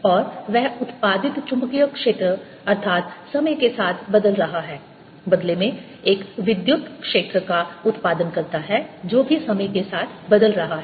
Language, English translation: Hindi, c supply comes here, it produces magnetic field which is changing in time, and that magnetic field produced that is changing in time in turn produces an electric field which is also changing in time